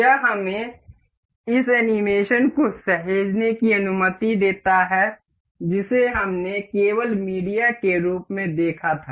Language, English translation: Hindi, This allows us to save this animation that we just saw in a form of a media